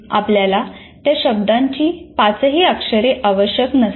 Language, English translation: Marathi, You don't require all the five letters of that word